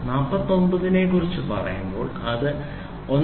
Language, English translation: Malayalam, When we talk about 49 it ranges from 1